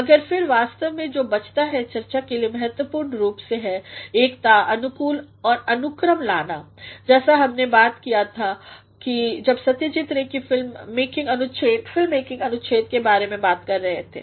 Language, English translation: Hindi, But then, what actually remains to be discussed importantly is, to bring unity, coherence and order as we talked about when we were talking about the paragraph from Satyajit Rays on film making